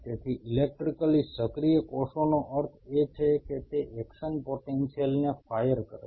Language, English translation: Gujarati, So, electrically active cells means it fires action potentials